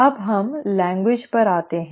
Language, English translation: Hindi, Now let us come to the language